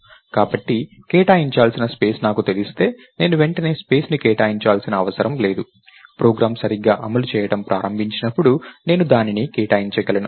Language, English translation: Telugu, So, if I know the space that has to be allocated, I don't have to immediately allocate the space, I can allocate it, when the program starts running right